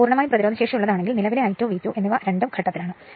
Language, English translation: Malayalam, If it is purely resistive, then your current I 2 and V 2 both are in phase right